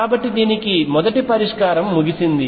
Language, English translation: Telugu, So, the first solution this one is out